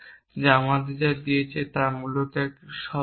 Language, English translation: Bengali, And what they gave us is a term essentially